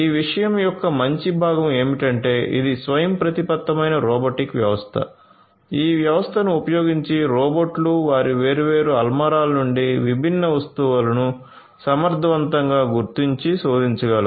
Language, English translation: Telugu, So, the good part of this thing is that because it is an autonomous robotic system you know using this system the robots can efficiently locate and search different items from their different shelves